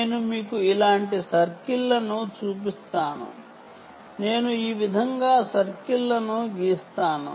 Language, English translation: Telugu, i will draw circles like this